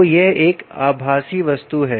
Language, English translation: Hindi, so that's a virtual object